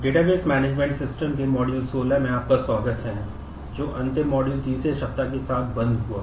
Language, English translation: Hindi, Welcome to Module 16 of Database Management Systems till the last module which closed with the third week